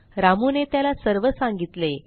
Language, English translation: Marathi, Ramu narrates the incident